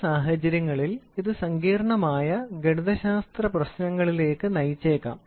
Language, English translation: Malayalam, In some cases, it may lead to complicated mathematical problems